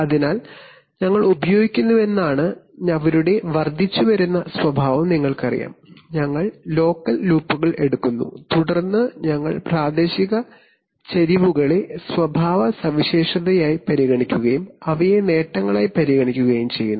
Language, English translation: Malayalam, So which means that we are using, you know their incremental characteristic that is we are taking locals loops and then we are considering local slopes in the characteristic and we are considering them as the gains